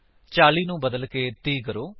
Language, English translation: Punjabi, Change 40 to 30